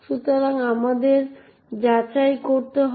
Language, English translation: Bengali, So, let us verify that